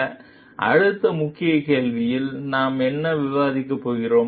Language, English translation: Tamil, So, in the next key question, what we are going to discuss